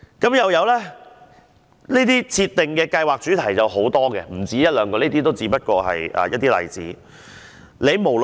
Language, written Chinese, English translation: Cantonese, 吳曉真又指這類設定計劃主題有很多，不止一兩個項目，這只不過是一些例子。, Ms Emily NG also pointed out that there were many themes for these kinds of projects which were not limited to one or two projects but she just cited some examples